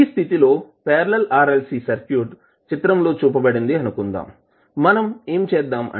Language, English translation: Telugu, Now in this case suppose the parallel RLC circuit is shown is in this figure here, what we are doing